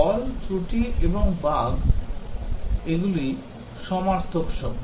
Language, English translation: Bengali, Fault, defect and bug, these are synonyms